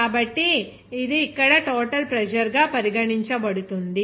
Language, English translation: Telugu, So, it will be regarded as total pressure here